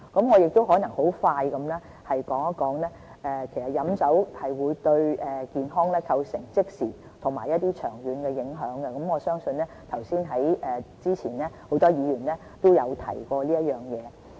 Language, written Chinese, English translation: Cantonese, 我很快地說一說，飲酒會對健康構成即時和長遠的影響，這一點早前已有很多議員提及。, So I will briefly illustrate the immediate and long - term effects of drinking . Many Members have talked about this earlier too